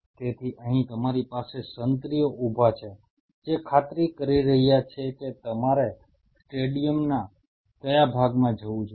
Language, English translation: Gujarati, So, here you have the sentries standing there who are ensuring which part of the stadium you should go